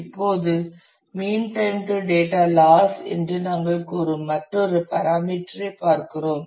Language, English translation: Tamil, Now, we are look at another parameter which we say is a mean time to data loss